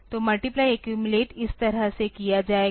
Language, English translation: Hindi, So, multiply accumulate will be doing like this